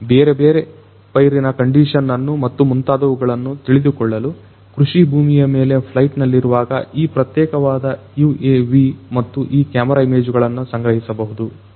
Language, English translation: Kannada, This particular UAV can and this camera can collect images while it is on flight over agricultural fields to understand different crop conditions and so on and so forth